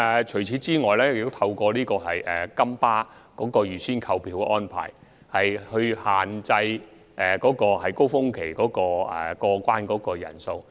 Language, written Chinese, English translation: Cantonese, 除此之外，金巴推出預先購票的安排，亦限制了高峰期過關人士的數目。, On the other hand the arrangement of advance ticket purchases introduced by the Golden Bus has limited the number of cross - boundary visitors during the peak period